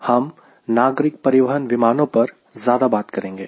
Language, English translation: Hindi, yes, we will be talking more on civil aircrafts, civil transport aircrafts